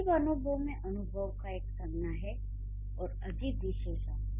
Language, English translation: Hindi, Strange experience, experience is a noun and strange is an adjective